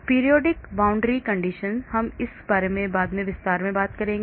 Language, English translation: Hindi, Periodic boundary conditions, we will talk about this more in detail later